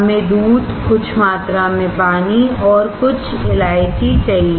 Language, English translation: Hindi, We need milk, some amount of water, some cardamoms